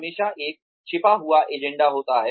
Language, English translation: Hindi, There is always a hidden agenda